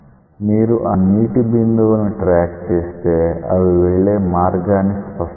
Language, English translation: Telugu, You can see that if you track the water droplets you can clearly see that the path what they are following